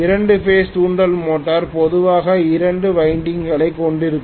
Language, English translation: Tamil, Two phase induction motor will normally have two windings